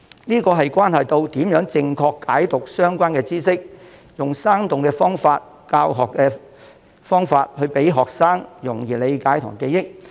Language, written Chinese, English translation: Cantonese, 這關係到如何正確解讀相關知識，利用生動的方法和教學技巧，讓學生容易理解和記憶。, The objective of doing so is to foster a correct understanding of the relevant knowledge and the use of lively teaching methods and techniques thereby making things easy for students to comprehend and remember